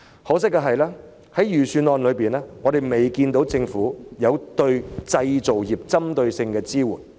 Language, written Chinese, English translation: Cantonese, 可惜的是，我們並未看到政府在預算案中對製造業提供針對性的支援。, Regrettably we did not see the provision of targeted support for the manufacturing industry by the Government in the Budget